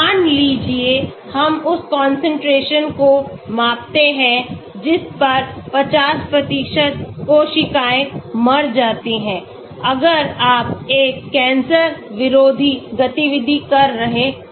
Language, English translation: Hindi, Suppose we measure the concentration at which 50% of the cells die if you are doing an anti cancer activity